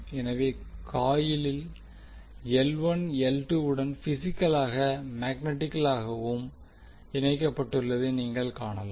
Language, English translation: Tamil, So if you see that coil L1 is connected to L2 physically as well as magnetically